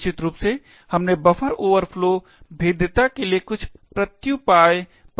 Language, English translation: Hindi, Essentially, we discussed a couple of countermeasures for the buffer overflow vulnerability